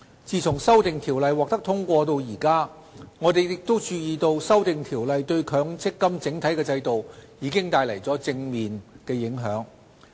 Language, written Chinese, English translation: Cantonese, 自《修訂條例》獲得通過至今，我們亦注意到《修訂條例》對強積金整體制度帶來的正面影響。, Since the passage of the Amendment Ordinance we have also noticed the positive impact effected by the Amendment Ordinance on the MPF System overall